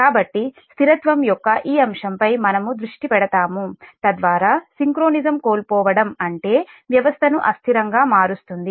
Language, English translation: Telugu, so we will focus on this aspect of stability, that whereby a loss of synchronism will mean to render the system unstable